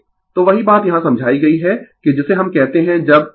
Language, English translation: Hindi, So, same thing is explained here that your what we call when omega less than omega 0 B L greater than B C theta Y will be negative right